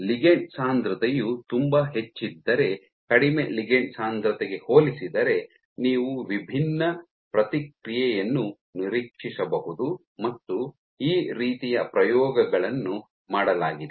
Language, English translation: Kannada, So, if your ligand density is very high if your ligand density is very high you might expect a different response compared to when ligand density is low, and these kinds of experiments have been performed